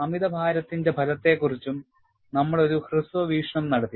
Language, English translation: Malayalam, Then, we also had a brief look at the effect of overload